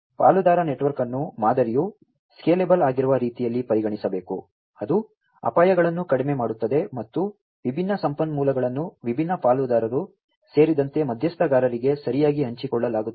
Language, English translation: Kannada, The partner network should be considered in such a way that the model is scalable, it reduces the risks, and the different resources are shared across the different stakeholders properly, stakeholders including the different partners